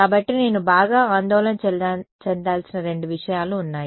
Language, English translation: Telugu, So, there are two things that I have to worry about alright